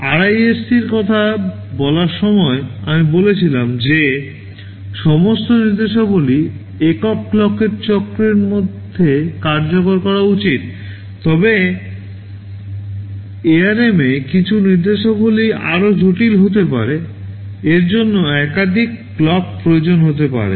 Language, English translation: Bengali, WSo, while talking of RISC, I said all instructions should be exhibited executed in a single clock cycle, but in ARM some of the instructions can be more complex, it can require multiple clocks such instructions are there